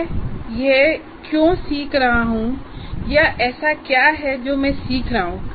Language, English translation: Hindi, Why am I learning this or what is it that I am learning at the end